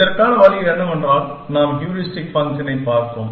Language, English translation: Tamil, And the way with this was that, we looked at the heuristic function